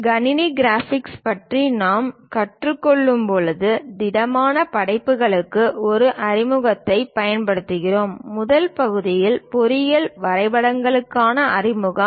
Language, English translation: Tamil, And when we are learning about computer graphics, we use introduction to solid works , in the first part introduction to engineering drawings